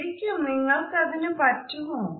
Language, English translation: Malayalam, Really you could do that